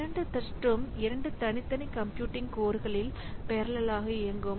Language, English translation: Tamil, The two threads would be running in parallel and separate computing codes